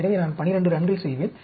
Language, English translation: Tamil, So, I will do 12 runs